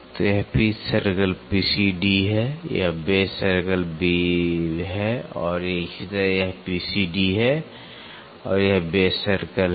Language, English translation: Hindi, So, this is the pitch circle P C D, this is the base circle and same way this is the P C D and this is the base circle